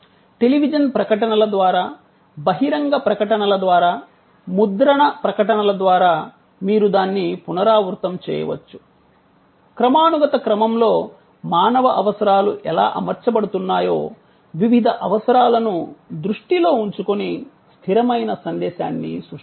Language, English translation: Telugu, And you can repeat that through television ads, through outdoor advertising, to print ads; create a consistent message this is to be done keeping in mind, the various needs how the human needs are arranged in a hierarchy